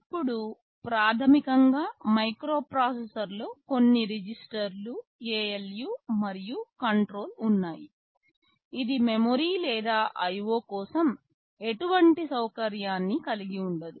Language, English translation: Telugu, Now, a microprocessor contains basically some registers, ALU and control; it does not contain any memory or any facility for IO